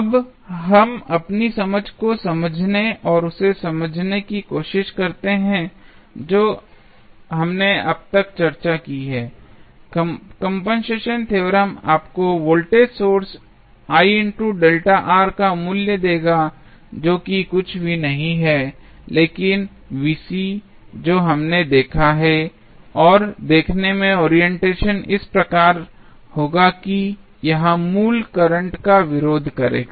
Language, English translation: Hindi, Now, let us understand and justify our understanding what we have discussed till now, the compensation theorem will give you the value of voltage source I delta R that is nothing but the value Vc which we have seen and the look the orientation would be in such a way that it will oppose the original current